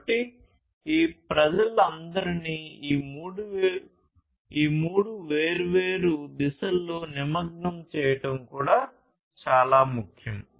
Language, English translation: Telugu, So, engaging all these peoples in these three different directions is also very important